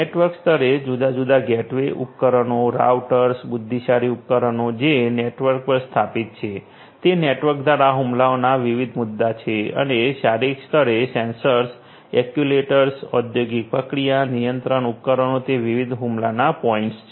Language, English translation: Gujarati, At the network level the different gateway devices, routers, intelligent devices which are local to the network, those are different points of attack through the network and at the physical level the sensors, the actuators, the industrial process control devices, those are the different points of attacks